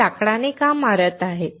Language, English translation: Marathi, Why they are hitting with a wood